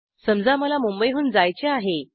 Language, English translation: Marathi, Suppose i want to go from Mumbai